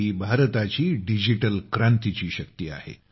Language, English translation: Marathi, This is the power of India's digital revolution